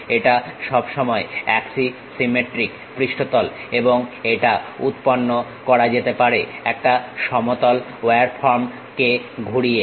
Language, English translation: Bengali, This always be axisymmetric surface and it can be generated by rotating a plain wire form